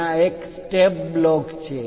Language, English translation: Gujarati, There is a step block